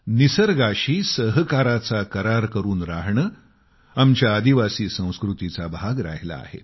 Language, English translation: Marathi, To live in consonance and closed coordination with the nature has been an integral part of our tribal communities